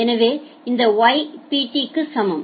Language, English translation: Tamil, So, this is Y equal to Pt